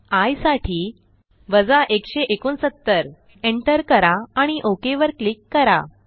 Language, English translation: Marathi, Lets run again, lets enter 169 for i and click OK